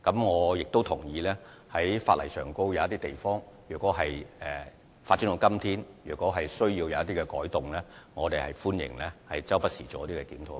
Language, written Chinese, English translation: Cantonese, 我亦同意，因應科技的發展，如果法例有某些地方需要作出改動，我們表示歡迎，也會不時作出檢討。, In light of the development of science and technology we agree that it may be necessary to make changes to some legal provisions and we will conduct reviews from time to time